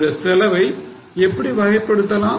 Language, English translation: Tamil, So, how will you classify this cost